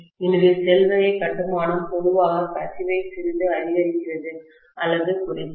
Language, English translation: Tamil, So shell time construction generally enhances or reduces the leakage quite a bit